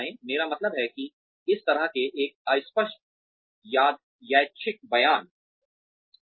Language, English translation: Hindi, I mean that is such a vague random statement